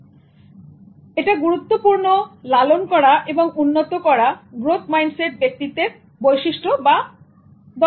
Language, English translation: Bengali, So it's important to nurture a growth mindset to keep enhancing personality traits and skills